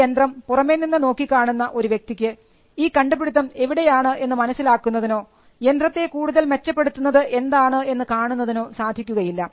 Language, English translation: Malayalam, It is not possible for a person who sees the engine from outside to ascertain where the invention is, or which part of the improvement actually makes the engine better